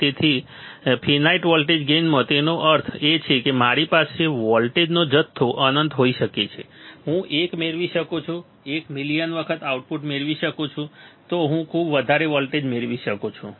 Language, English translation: Gujarati, So, in finite voltage gain that means, that I can have infinite amount of voltage I can get 1, 1 million times output, one can I have this much voltage right